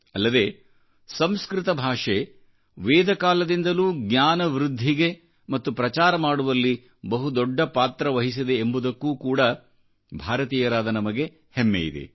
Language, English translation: Kannada, We Indians also feel proud that from Vedic times to the modern day, Sanskrit language has played a stellar role in the universal spread of knowledge